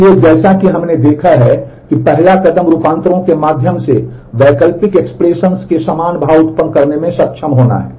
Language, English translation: Hindi, So, as we have seen the first step is to be able to generate alternate expressions equivalent expressions through transformations